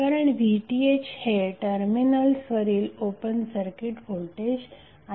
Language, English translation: Marathi, Because VTh is open circuit voltage across the terminals